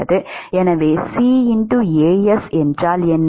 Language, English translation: Tamil, So, what is CAs